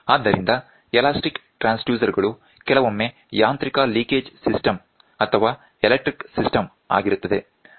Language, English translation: Kannada, So, elastic transducer sometimes, a mechanical linkage system or a mechanical linkage system